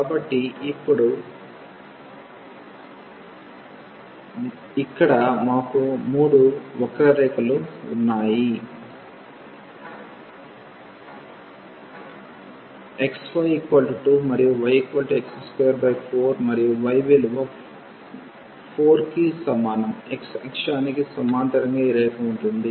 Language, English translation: Telugu, So, now, we have 3 curves here x y is equal to 2 and y is equal to x square by 4 and y is equal to 4 this line parallel to the x axis